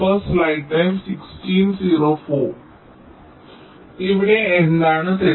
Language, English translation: Malayalam, so what is wrong here